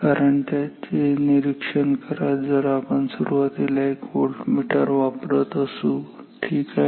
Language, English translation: Marathi, Firstly, this if we are using if we are using a voltmeter ok